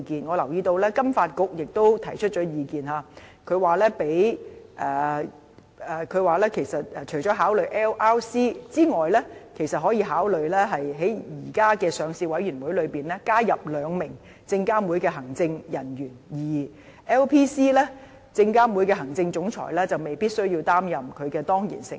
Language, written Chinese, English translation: Cantonese, 我留意到金融發展局亦提出了意見，說除了考慮 LRC 外，其實亦可以考慮在現時的上市委員會中，加入兩名證監會的行政人員；而 LPC， 證監會的行政總裁就未必需要擔任它的當然成員。, I noticed that the Financial Services Development Council has also voiced its views suggesting that apart from LRC two executive officers from SFC can be added to the current membership of the existing Listing Committee but for LPC it is not necessary for the Chief Executive Officer of SFC to be its ex - officio member